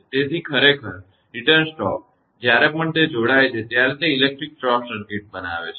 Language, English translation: Gujarati, So, return stoke actually; whenever it connects it makes an electric short circuit